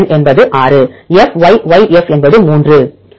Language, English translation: Tamil, NN is 6 FY Y F is 3 3